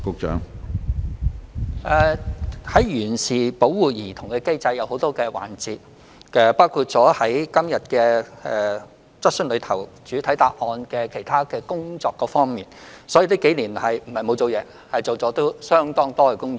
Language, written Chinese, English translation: Cantonese, 有關完善保護兒童的機制分為多個環節，包括今天在主體答覆中提到的其他工作，所以這幾年並非沒有做工夫，而是已經做了相當多工作。, The improvement of the child protection mechanism involves various tasks including those mentioned in the main reply today . Therefore instead of doing nothing over the past years a lot of work has actually been done